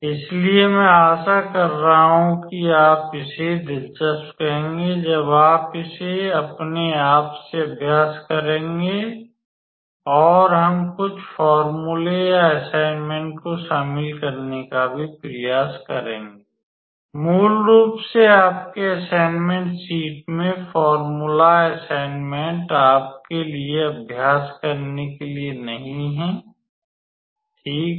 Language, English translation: Hindi, So, I am hoping you would how to say find it interesting when you practice it by your own and we will also try to include some formulas or assignments, basically not formulas assignments in your assignment sheet for you to practice, all right